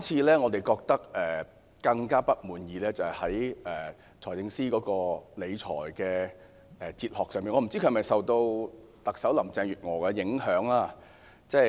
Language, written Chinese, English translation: Cantonese, 令我們更不滿意的是，財政司司長的理財哲學不知道是否受到特首林鄭月娥的影響。, What makes us even more dissatisfied is that we do not know if Chief Executive Carrie LAM has influenced the fiscal philosophy of the Financial Secretary